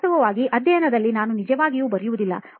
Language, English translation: Kannada, Actually in studying I do not really write, I do not